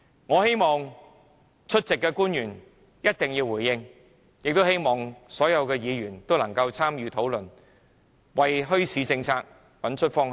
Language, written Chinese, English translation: Cantonese, 我要求出席的官員一定要回應，也希望所有議員能夠參與討論，為墟市政策找出方向。, I request the officials present to give us a response and I hope that all Members will join in the discussion to find a direction for the policy on bazaars